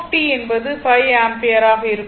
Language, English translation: Tamil, So, 5 ampere